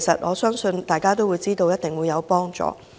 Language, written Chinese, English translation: Cantonese, 我相信大家都知道那是一定有幫助的。, I believe all of us are certain that they will